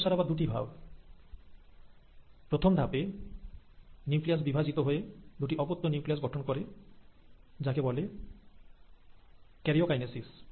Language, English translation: Bengali, Now the M phase again has two steps; the first step is where the nucleus divides into two daughter nuclei, that is called as karyokinesis